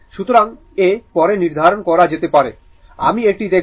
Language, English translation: Bengali, So, A can be determined later, we will see that